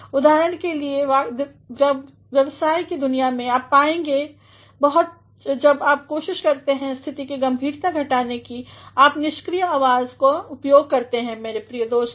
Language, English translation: Hindi, For example, in a business world, you will find when you are trying to lessen the gravity of the situation, you make use of passive voices my dear friends